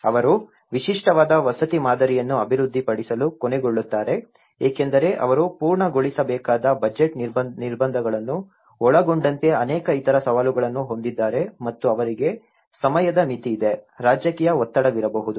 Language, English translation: Kannada, They end up developing a unique housing model because they have many other challenges including the budget constraints they have to finish and they have the time limitation, there could be a political pressure